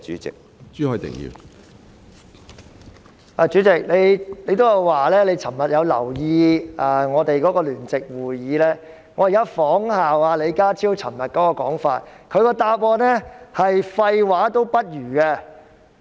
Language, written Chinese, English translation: Cantonese, 主席，你提到你亦有留意我們昨天舉行的聯席會議，我現在仿效李家超昨天的說法：他的主體答覆連廢話也不如。, President you mentioned that you had also noticed the joint meeting we held yesterday . I now put it in the way as John LEE did yesterday His main reply is worse than nonsense